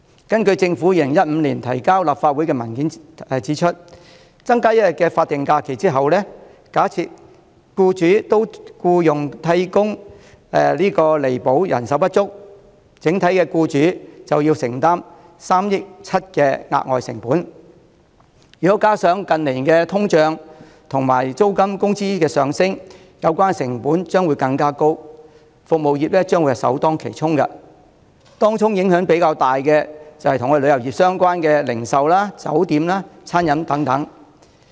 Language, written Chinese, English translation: Cantonese, 根據政府於2015年提交立法會的文件，增加1天法定假日後，假設僱主會聘用替工以彌補人手不足，整體僱主便要承擔3億 7,000 萬元的額外成本，如果加上近年通脹、租金及工資上升，有關的成本將會更高，服務業將會首當其衝，當中影響較大的便是與旅遊業相關的零售、酒店和餐飲業等。, According to a paper submitted by the Government to the Legislative Council in 2015 after designating an additional statutory holiday if employers employed replacement workers to relieve the resulting labour shortage they had to bear additional costs of 370 million as a whole . Given that inflation rate rent and wages have increased in recent years the costs incurred will be even higher now . The service industries will bear the brunt and the greatest impact will be sustained by tourism - related businesses such as retail trades hotels and catering